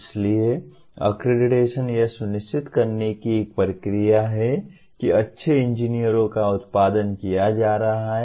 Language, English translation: Hindi, So, accreditation is a process of ensuring that good engineers are being produced